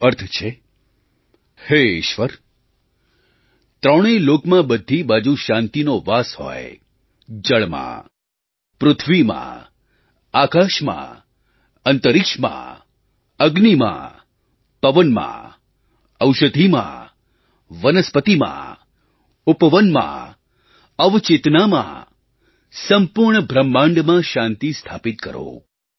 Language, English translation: Gujarati, It means O, Lord, peace should prevail all around in all three "Lokas",in water, in air, in space, in fire, in wind, in medicines, in vegetation, in gardens, in sub conscious, in the whole creation